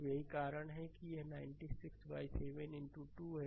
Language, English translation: Hindi, So, that is why that is why it is 96 by 7 into 2